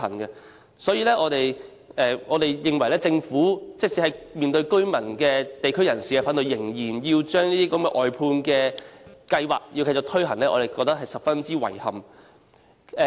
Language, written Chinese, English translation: Cantonese, 因此，對於政府面對居民和地區人士反對下仍然繼續推行外判計劃，我們感到十分遺憾。, Therefore we consider it utterly regrettable that the Government continues to proceed with the outsourcing plan in the face of opposition from the residents and members of the local community